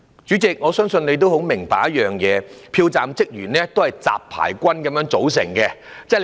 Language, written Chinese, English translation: Cantonese, 主席，我相信你很明白，票站職員是由"雜牌軍"組成的。, President I believe you should know that a ragtag team was formed to work in a polling station